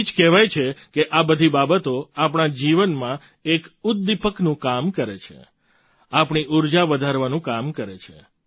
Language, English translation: Gujarati, that is why it is said that all these forms act as a catalyst in our lives, act to enhance our energy